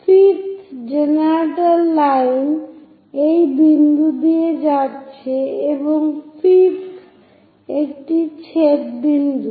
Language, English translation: Bengali, 5th generator line is passing through this point and 5th one intersecting point that